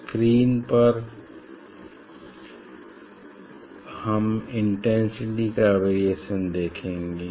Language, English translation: Hindi, on the screen we will see the variation of the intensity